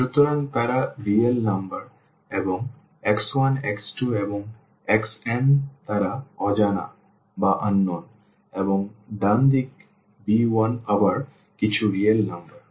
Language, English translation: Bengali, So, they are the real numbers and the x 1 x 2 x 3 and x n they are the unknowns and the right hand side b 1 again some real number